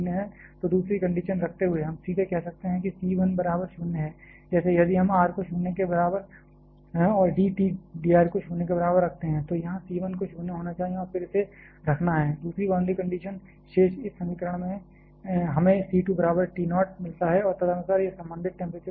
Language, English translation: Hindi, So, putting the second condition we can straight to as say that c 1 equal to 0, like if we put r equal to 0 here and d T d r equal to 0, here c 1 has to be a 0 and then putting this, the second boundary condition in the remaining this equation we get c 2 equal to T naught and accordingly this is the corresponding temperature profile